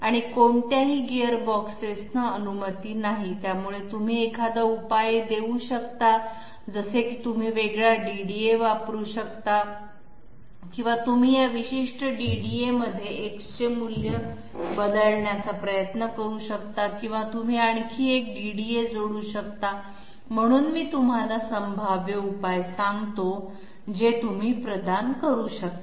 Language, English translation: Marathi, And no Gearboxes allowed, so you can give a solution like you can use a different DDA or you can try changing the value of X in this particular DDA or you can add yet another DDA, so let me give you the possible solution that you can provide